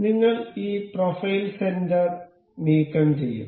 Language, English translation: Malayalam, We will remove this profile center